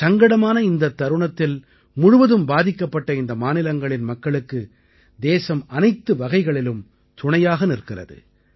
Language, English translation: Tamil, In this hour of crisis, the country also stands in unison with the people of these two states in every manner whatsoever